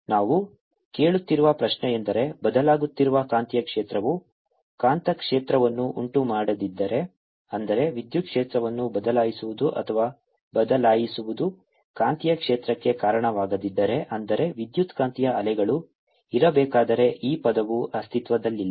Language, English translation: Kannada, the question we are asking is: if a changing magnetic field did not give rise to magnetic field, that means if or changing electric field did not give rise to a magnetic field, that means this term did not exists, would electromagnetic waves be there